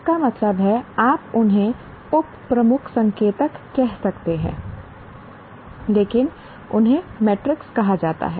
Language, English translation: Hindi, That means there are seven, you can call them sub key indicators, but it's called, they are called metrics